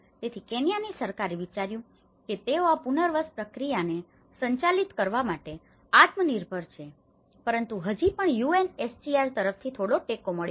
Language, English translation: Gujarati, So, Kenyan Government have thought that they are self sufficient to manage this resettlement process but still there has been some support from the UNHCR